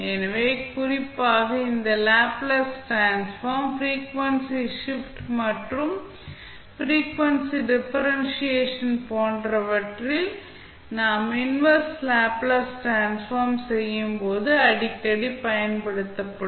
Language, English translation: Tamil, So, particularly this function and this, the Laplace Transform, in case of frequency shift and frequency differentiation will be used most frequently when we will do the inverse Laplace transform